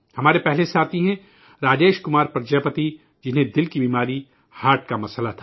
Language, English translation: Urdu, Our first friend is Rajesh Kumar Prajapati who had an ailment of the heart heart disease